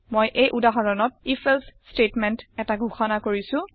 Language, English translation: Assamese, I have declared an if statement in this example